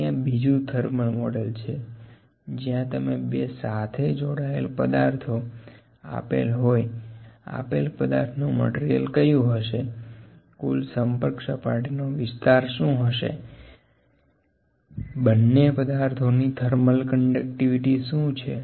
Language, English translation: Gujarati, There is a big model with thermal model associated with it, if there are two bodies; what is the material of these bodies, what is the surface total surface area of contact, what is the thermal conductivity of two bodies